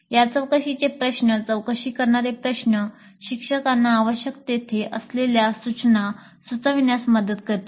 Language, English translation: Marathi, The results of these probing questions would help the instructor to fine tune the instruction where necessary